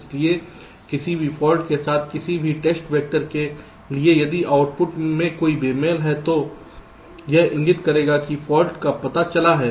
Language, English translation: Hindi, so for any test vector with any fault, if there is a mismatch in the output it will indicate that fault is detected